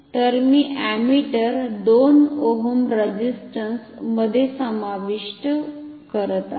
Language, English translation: Marathi, So, I am inserting the ammeter 2 ohm resistance